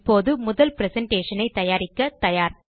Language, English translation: Tamil, We are now ready to work on our first presentation